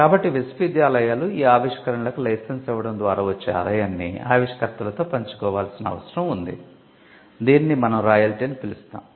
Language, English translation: Telugu, So, the universities were required to share the income that comes out of licensing these inventions, what we called royalty